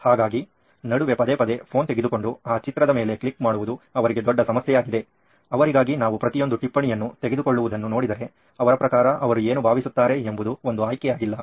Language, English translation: Kannada, So again getting a phone out in between get clicking a picture is a huge problem for them and as we see taking down each and every note for them is also not an option is what they feel according to them